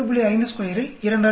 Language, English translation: Tamil, 5 square, multiply by 2